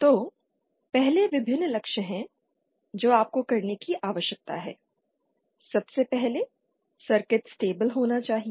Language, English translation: Hindi, So one first there are various goals that you need to first of all the circuit should be stable